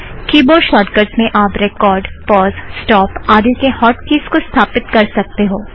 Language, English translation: Hindi, Keyboard Shortcuts is where you can set the HOT KEYS for record, pause, stop and the rest